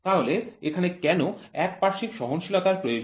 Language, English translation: Bengali, So here why is the need for unilateral tolerance